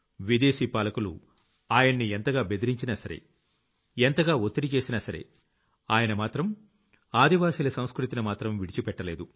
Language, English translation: Telugu, The foreign rule subjected him to countless threats and applied immense pressure, but he did not relinquish the tribal culture